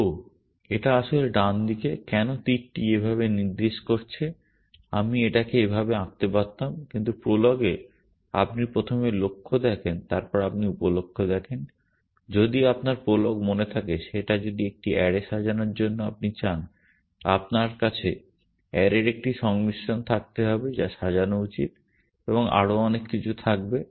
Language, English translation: Bengali, So, this is actually the right hand side, why because the arrow is pointing this way I could have drawn it like that, but in prolog you write the goal first and then you write the sub goals, if you remember prolog that if you want to sort an array then you have to have a combination of array which should be sorted and so on and so forth